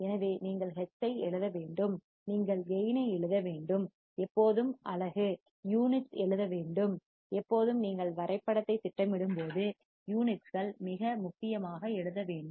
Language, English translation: Tamil, So, you have to write hertz, you have to write gain write always unit, always when you plot the graph, write units very important